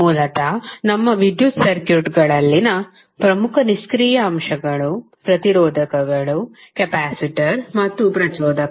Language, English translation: Kannada, Basically, the major passive elements in our electrical circuits are resistor, capacitor, and inductor